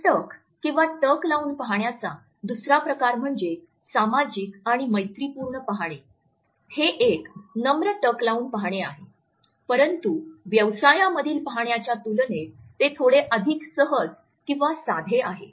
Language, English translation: Marathi, The second type of a gaze is the social and the friendly gaze, it is also a nonthreatening gaze, but it is slightly more released in comparison to the business gaze